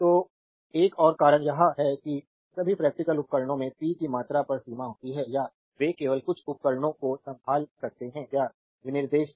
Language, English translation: Hindi, So, another reason is that all practical devices have limitation on the amount of power that they can handle just some devices or specification is there